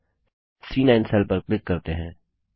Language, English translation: Hindi, So lets click on the C9 cell